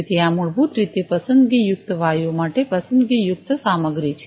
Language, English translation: Gujarati, So, these are basically selective materials for selective gases